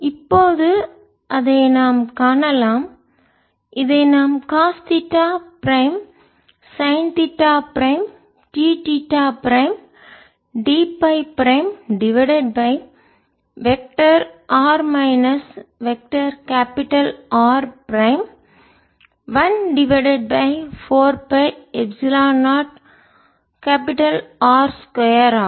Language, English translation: Tamil, so we can see that we can write this: cos theta prime sin theta prime d theta, prim d phi, prim over vector r minus vector r prime one over four